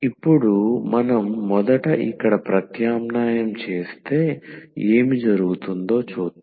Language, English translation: Telugu, Now, if we substitute this first here let us see what will happen